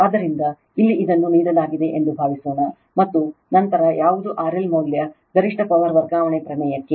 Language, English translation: Kannada, So, here also suppose this is given and then what will be your value of R L for the maximum power transfer theorem right